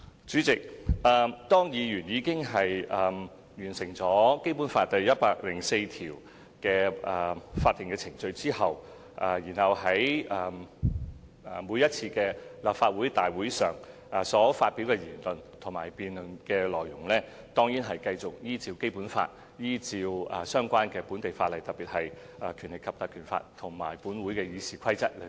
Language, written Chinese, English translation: Cantonese, 主席，如果議員已完成了《基本法》第一百零四條的法定程序，他們其後在每一次立法會大會上所發表的言論，以及在辯論中提出的論點，當然繼續受《基本法》及相關的本地法例，特別是《立法會條例》及《議事規則》規管。, President if Members have completed the statutory procedure under Article 104 of the Basic Law BL the speech they make at each Legislative Council meeting and the arguments they present during debates will as matter of course continue to be governed by BL and the relevant local legislation in particular the Legislative Council Ordinance and the Rules of Procedure